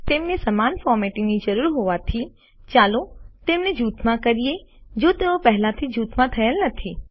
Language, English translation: Gujarati, As they require the same formatting, lets group them ,If they are not already grouped